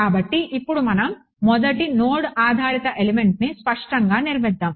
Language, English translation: Telugu, So, now let us actually explicitly construct the first node based element